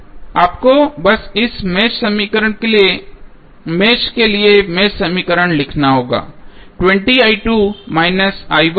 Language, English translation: Hindi, You have to just simply write the mesh equation for this mesh